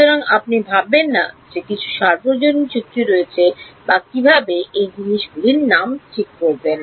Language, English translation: Bengali, So, you should not think that there is some universal agreement or how to name number these things fine